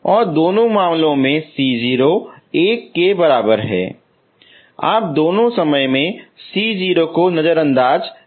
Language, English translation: Hindi, And C0 equal to 1 both cases both time you ignore C 0